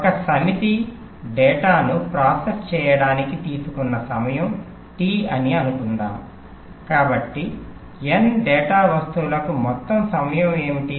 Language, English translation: Telugu, suppose the time taken to process one set of data is t, therefore, for n data items